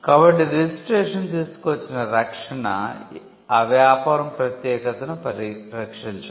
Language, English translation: Telugu, So, the protection that registration brought was the preservation of the uniqueness